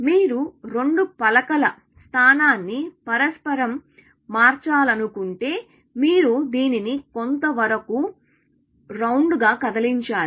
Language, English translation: Telugu, If you want to interchange the position of two tiles, you have to do some round about movement